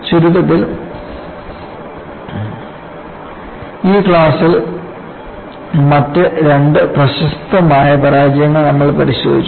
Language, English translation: Malayalam, To summarize, in this class, we had looked at the other 2 spectacular failures